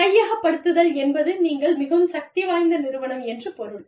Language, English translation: Tamil, Acquisitions means, you are a more powerful company